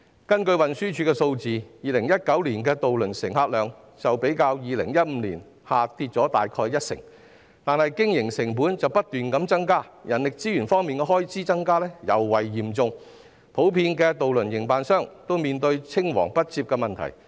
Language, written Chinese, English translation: Cantonese, 根據運輸署的數字 ，2019 年的渡輪乘客量較2015年下跌了大約一成，但是經營成本卻不斷增加，人力資源開支的增幅更特別高，渡輪營辦商均普遍面對青黃不接的問題。, According to the figures of the Transport Department the patronage of ferries in 2019 had dropped about 10 % compare with that in 2015 . Yet the operating costs keep increasing . The growth in expenditure on human resources is particularly high